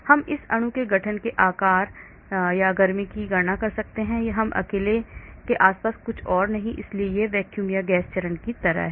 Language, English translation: Hindi, I can calculate shape, size or heat of formation of this molecule, there is nothing else surrounding this all alone so it is like a vacuum or gas phase